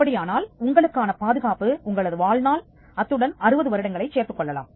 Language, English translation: Tamil, Then the protection is your life plus 60 years